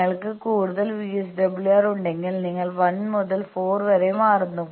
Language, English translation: Malayalam, Then if you have more VSWR you switch over to 1 to 4